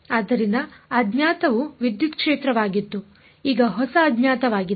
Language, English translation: Kannada, So, the unknown was electric field now the new unknown is